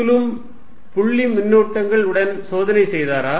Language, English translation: Tamil, Did Coulomb's do experiment with point charges